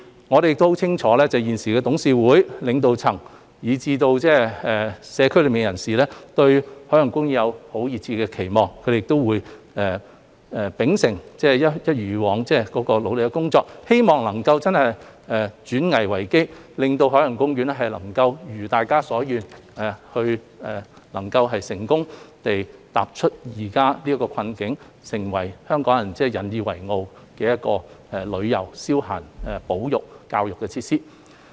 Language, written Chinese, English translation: Cantonese, 我們亦很清楚現時董事會、領導層，以至社區內的人士，對海洋公園都抱有熱切的期望，園方會秉承並一如以往般努力工作，希望能夠轉危為機，令海洋公園可如大家所願，成功走出現時的困境，成為令香港人引以為傲的旅遊、消閒、保育和教育設施。, We are well aware that now the Board and the leadership as well as the community have high expectations for OP . As such OP will continue to work as hard as ever to turn the crisis into an opportunity so that it can as we wish successfully emerge from its current predicament and become a tourism leisure conservation and education facility that Hong Kong people are proud of